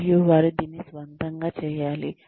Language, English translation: Telugu, And, they need to do this, on their own